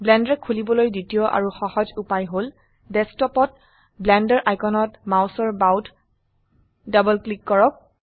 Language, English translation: Assamese, The second and easier way to open Blender is Left double click the Blender icon on the desktop